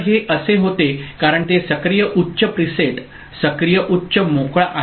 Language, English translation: Marathi, So, it was this because it is active high preset, active high clear